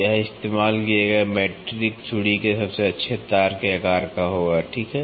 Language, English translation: Hindi, This will be the size of the best wire of a metric thread used, ok